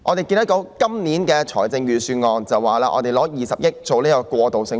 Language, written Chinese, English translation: Cantonese, 本年的預算案建議預留20億元興建過渡性房屋。, The Budget of this year proposes to earmark 2 billion for developing transitional housing